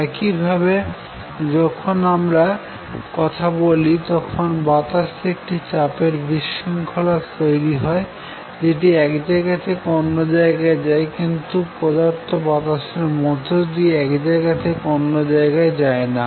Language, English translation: Bengali, Similar, when am talking I am creating a disturbance a pressure disturbance in the air which travels; that disturbance travel from one place to other, but the material; the air does not go from one place to another